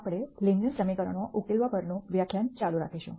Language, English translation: Gujarati, We will continue the lecture on solving linear equations